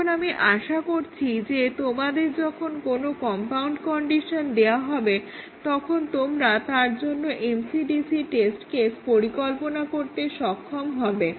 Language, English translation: Bengali, I hope you would have given a compound condition; will be able to design the MCDC test cases for this